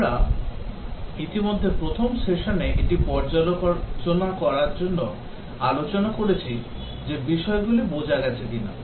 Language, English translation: Bengali, Already we have discussed this in the first session just for reviewing that whether things have been understood